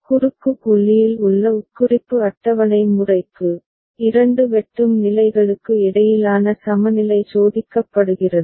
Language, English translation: Tamil, For implication table method in the cross point, the equivalence between two intersecting states are tested